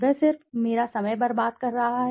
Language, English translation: Hindi, He is just wasting my time